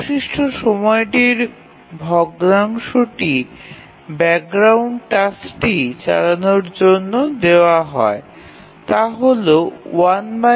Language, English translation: Bengali, So the time, fraction of time available for the background task is